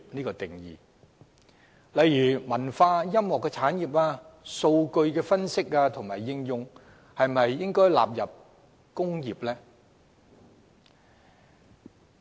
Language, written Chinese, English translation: Cantonese, 舉例來說，文化音樂產業和數據分析應用應否列作"工業"？, For example should cultural and music industries as well as data analysis and application fall under the definition of industry?